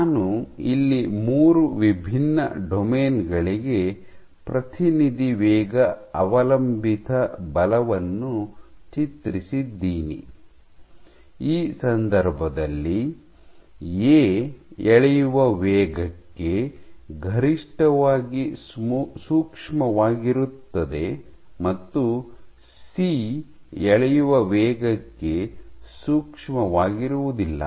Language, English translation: Kannada, So, I have drawn representative rate dependent forces for three different domains, in this case A is maximally sensitive to pulling rate and C is insensitive to pulling rate